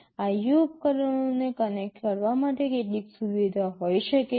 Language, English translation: Gujarati, There can be some facility for connecting IO devices